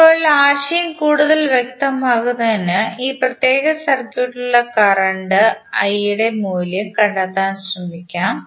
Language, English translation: Malayalam, Now, to get the idea more clear, let us try to find out the value of current I in this particular circuit